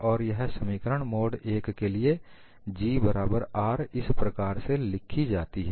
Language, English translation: Hindi, And this equation is written for a mode 1 G 1 equal to R 1